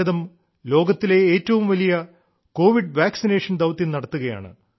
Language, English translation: Malayalam, Today, India is undertaking the world's biggest Covid Vaccine Programme